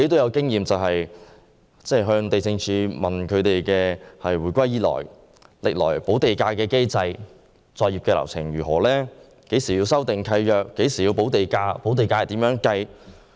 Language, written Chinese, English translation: Cantonese, 我曾詢問地政總署有關香港回歸以來的補地價機制和作業流程，包括何時須修訂契約、何時須補地價，以及補地價的計算方式。, I once asked LD about the mechanism of land premium and its workflow since Hong Kongs return to the Mainland including when land leases should be revised when land premium should be paid and how land premium was calculated